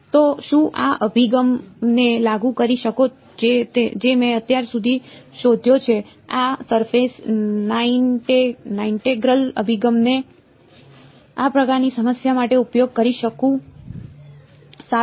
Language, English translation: Gujarati, So, can I apply this approach that I have discovered so far this surface integral approach can I use it to this kind of a problem